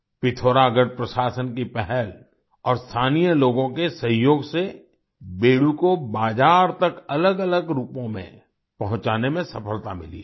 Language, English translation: Hindi, With the initiative of the Pithoragarh administration and the cooperation of the local people, it has been successful in bringing Bedu to the market in different forms